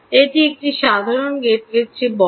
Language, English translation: Bengali, it is bigger than a normal gate way